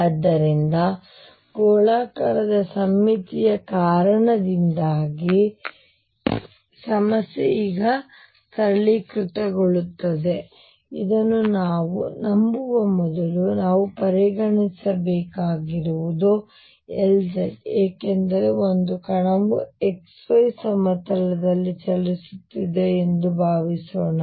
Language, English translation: Kannada, So, because of spherical symmetry the problem gets simplified now before I believe this we can consider because of L z suppose there is a particle moving in x y plane